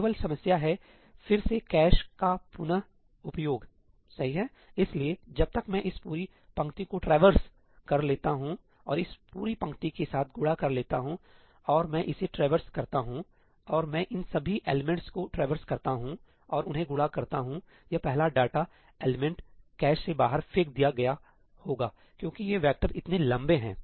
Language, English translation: Hindi, by the time I traverse this entire row and multiply with this entire row, and I traverse this and I traverse all these elements and multiply them, this first data element would have been thrown out of the cache because these vectors are so long